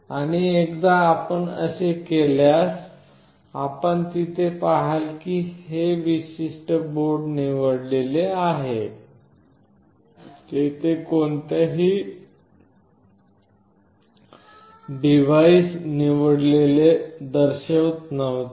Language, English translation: Marathi, And once you do that you will see here that this particular board got selected, earlier it was showing no device selected